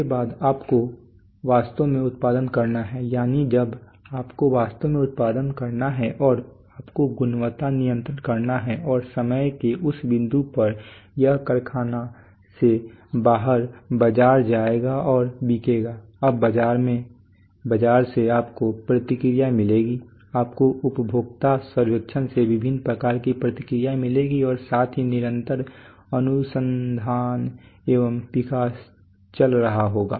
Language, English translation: Hindi, After that you have to actually do production, that is when you have to actually do production and you have to do quality control and at this point of time it will go out of the factory into the marketplace and will get sold, now in the marketplace from the marketplace you will get feedback you will get feedback of various kinds from consumer surveys plus there is continuous R&D is going on